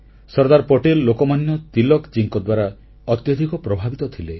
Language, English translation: Odia, Sardar Vallabh Bhai Patel was greatly impressed by Lok Manya Tilakji